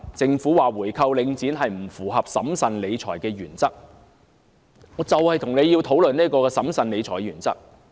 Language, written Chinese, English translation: Cantonese, 政府指回購領展不符合審慎理財的原則，就此，我便想和政府討論一下審慎理財的問題。, The Government argues that buying back the Link REIT is against the principle of fiscal prudence and in this connection I would like to discuss fiscal prudence with the Government